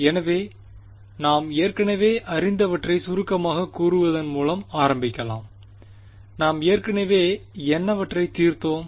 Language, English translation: Tamil, So, let us sort of start by summarizing what we already know ok, what are we already solved